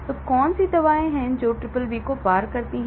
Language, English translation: Hindi, So, what are the drugs that cross BBB